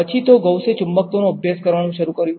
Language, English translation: Gujarati, Then you move forward Gauss began to study magnetism